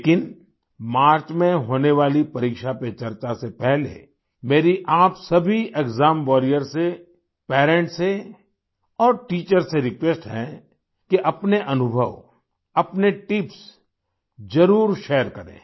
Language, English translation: Hindi, But before the 'Pariksha Pe Charcha' to be held in March, I request all of you exam warriors, parents and teachers to share your experiences, your tips